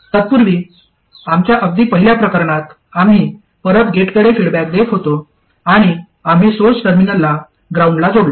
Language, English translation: Marathi, Earlier in our very first case we were feeding back to the gate and we connected the source terminal to ground